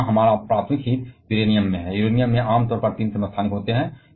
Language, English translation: Hindi, And our primary interest here is Uranium, Uranium commonly has 3 isotopes